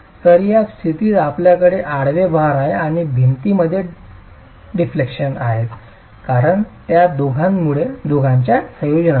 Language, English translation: Marathi, So, in this condition you have the horizontal load and deflections occurring in the wall because of the combination of the two